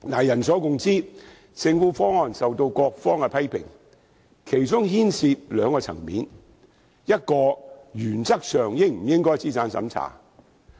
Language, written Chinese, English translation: Cantonese, 人所共知，政府提出的方案備受各方批評，其中牽涉兩個層面：第一，原則上應否進行資產審查？, As everyone knows the Governments proposal was widely criticized on two aspects first is a means test necessary in principle?